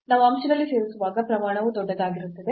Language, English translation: Kannada, So, when we are adding in the numerator the quantity will be bigger